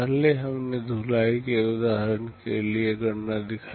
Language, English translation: Hindi, Earlier we showed the calculation for the washing example